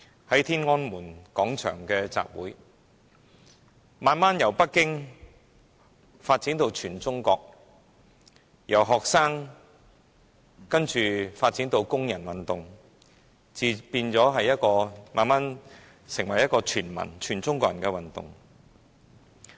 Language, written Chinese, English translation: Cantonese, 在天安門廣場的集會，慢慢由北京發展到全中國，由學生發展到工人運動，然後演變為一場全中國人的運動。, What started out as a rally at Tiananmen Square gradually spread from Beijing to the rest of China evolving from a student movement into a labour movement and then a movement involving all Chinese people